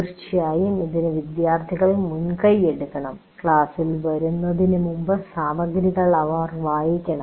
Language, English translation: Malayalam, But of course, this requires the students also to take initiative and they have to read the material and come to the class